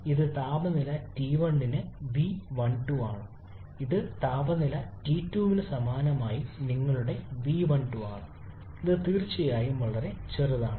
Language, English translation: Malayalam, So this is v1 to 2 for temperature T1 this is your v1 to 2 corresponding to temperature T2 which is definitely much smaller